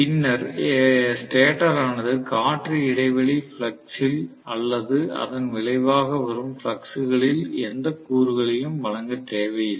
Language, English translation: Tamil, Then stator need not provide any component in the air gap flux or in the resultant flux